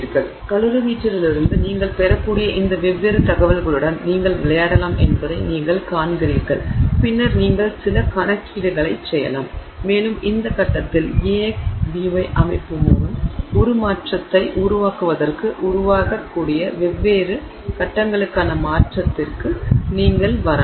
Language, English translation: Tamil, So, so you see you can play around with these different pieces of information that you can get from the calorimeter and then you can do some calculation and you can arrive at the transformation for different phases that may form for the formation of transformation of formation in this case for the AX, BY system